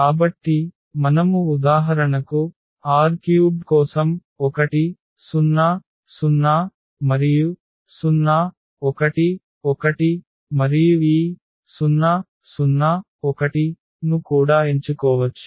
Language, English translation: Telugu, So, we can also choose for example, 1 0 0 and 0 1 1 for R 3 and this 0 1